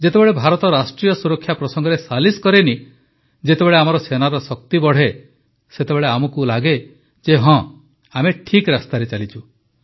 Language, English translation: Odia, When India does not compromise on the issues of national security, when the strength of our armed forces increases, we feel that yes, we are on the right path